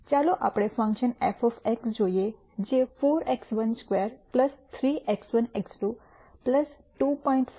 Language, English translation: Gujarati, Let us look at a function f of X which is 4 x 1 squared plus 3 x 1 x 2 plus 2